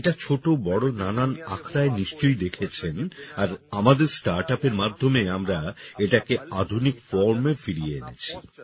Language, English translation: Bengali, You must have seen it in big and small akhadas and through our startup we have brought it back in a modern form